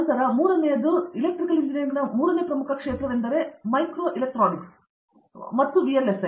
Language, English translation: Kannada, Then the third one, third major area of Electrical Engineering is micro electronics and VLSI